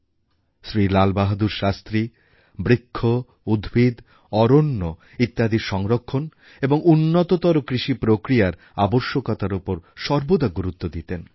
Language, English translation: Bengali, Similarly, Lal Bahadur Shastriji generally insisted on conservation of trees, plants and vegetation and also highlighted the importance of an improvised agricultural infrastructure